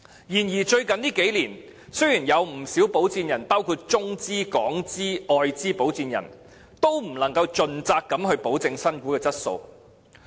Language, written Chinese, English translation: Cantonese, 然而，最近數年，不少保薦人包括中資、港資、外資的保薦人，都不能盡責地保證新股的質素。, However over the past few years quite a number of sponsors be they operate with Mainland Hong Kong or foreign capital have failed to dutifully ensure the quality of new shares